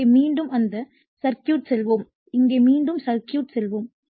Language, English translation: Tamil, So, let us go back to that your circuit again here let us go back to the circuit again